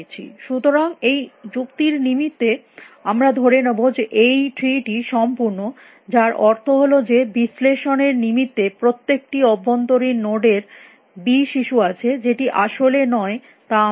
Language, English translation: Bengali, So, for this argument sake we will assume that the tree is complete which means the every internal node has exactly be children for the sake of analysis which is not the case as we know